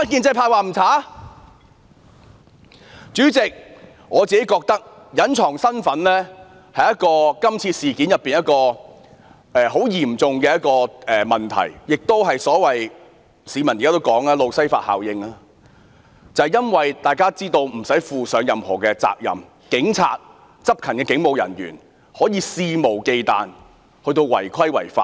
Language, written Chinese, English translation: Cantonese, 主席，我覺得警員隱藏身份是今次事件中一個很嚴重的問題，亦即市民現時說的"路西法效應"，因為若隱藏身份便不用負上任何責任，執勤的警務人員因而可以肆無忌憚違規違法。, President in my view the concealment of identity by police officers is a serious problem in this incident . The general public are now concerned about the Lucifer Effect ie . with the concealment of identity police officers on duty may break the law recklessly as there is no way to hold them accountable for any liability